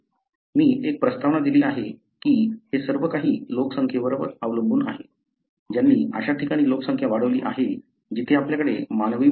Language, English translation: Marathi, I gave an introduction that it all depends on the few number of individuals who seed the population in a place that was not, , you had human settlement